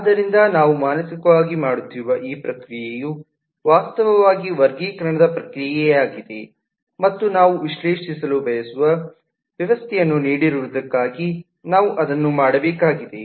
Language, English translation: Kannada, so this process that we are doing mentally is actually a process of classification and, in general, we will need to do this for given the system that we would like to analyse